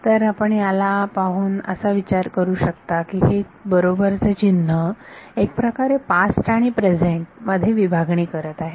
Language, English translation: Marathi, So, you can think of this as this equal to sign is sort of dividing the present from the past